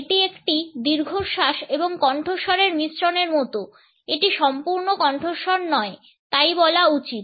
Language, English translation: Bengali, It is a sigh like mixture of breath and voice it is not quite a full voice so to say